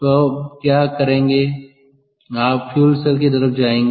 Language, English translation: Hindi, ok, so what you will do is you will now move on to fuel cell